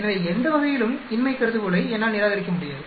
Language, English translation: Tamil, So, either way I cannot reject the null hypothesis